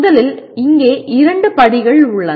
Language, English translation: Tamil, First of all there are two steps here